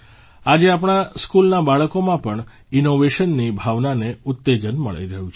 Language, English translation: Gujarati, Today the spirit of innovation is being promoted among our school children as well